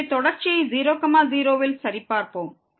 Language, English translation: Tamil, So, let us check the continuity at